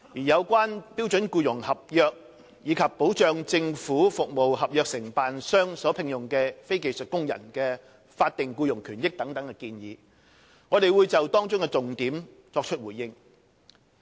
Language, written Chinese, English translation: Cantonese, 有關標準僱傭合約及保障政府服務合約承辦商所聘用的非技術工人的法定僱傭權益等建議，我會就當中的重點作出回應。, With regard to the suggestions such as those concerning the standard employment contract and the protection of statutory employment rights and benefits of non - skilled workers employed by contractors of government service contracts I will respond to the salient points of these suggestions